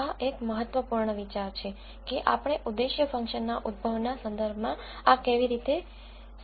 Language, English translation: Gujarati, So, this is an important idea that we have to understand in terms of how this objective function is generated